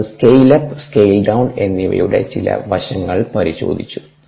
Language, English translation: Malayalam, then we looked at some aspects of scale up and scale down